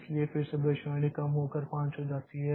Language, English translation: Hindi, So, again the prediction comes down to 5